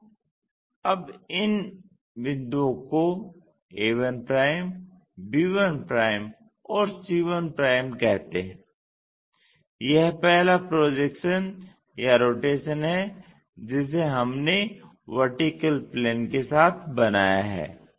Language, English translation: Hindi, So, now, call these points as a 1', b 1' and c 1', this is the first projection or rotation what we made with vertical plane